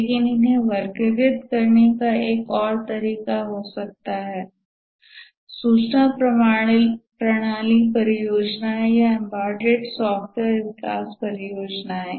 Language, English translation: Hindi, But another way of classifying them may be information system projects or embedded software development projects